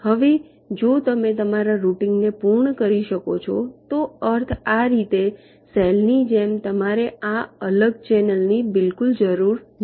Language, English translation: Gujarati, now, if you can complete your routing means in this way, over the cell manner, then you do not need this separate channel at all